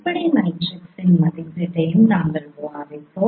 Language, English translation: Tamil, And then we discussed also estimation of fundamental matrix